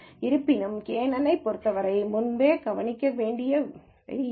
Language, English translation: Tamil, However, these are some of these the things to consider before applying kNN